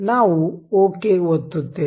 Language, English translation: Kannada, we will click ok